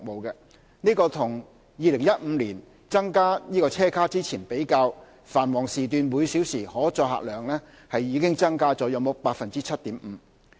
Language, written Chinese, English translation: Cantonese, 與2015年增加車卡前比較，繁忙時段每小時可載客量已增加約 7.5%。, As compared to the situation before the addition of train cars in 2015 the hourly carrying capacity has already increased by about 7.5 % during peak hours